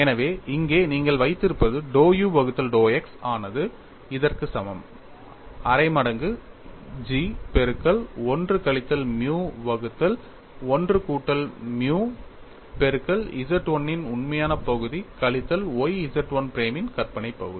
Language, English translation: Tamil, So, what you have here is dou u by dou x equal to 1 by 2 times G of 1 minus nu divide by 1 plus nu multiplied by real part of Z 1 minus y imaginary part of Z 1 prime